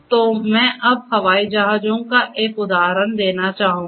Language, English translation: Hindi, So, let me just take an example of aircrafts